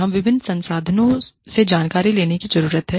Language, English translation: Hindi, We need to draw information, from different resources